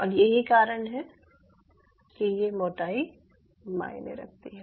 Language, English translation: Hindi, ok, so thats why this thickness does matter